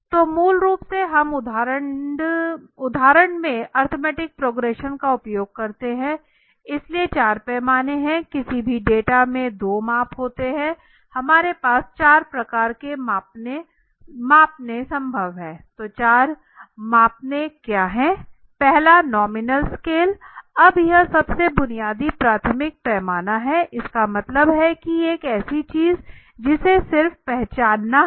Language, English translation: Hindi, So basically we generally we use for example arithmetic progression right so four scales are there, there are two measure in basically any data we have four types of scales that are possible so what are the four scales the first is nominal scale now this is the most basic elementary scale it means that nominal scale is something which is just to identify just understand it is something to identify